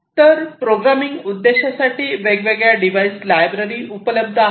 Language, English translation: Marathi, So, different device libraries are also available for the programming purpose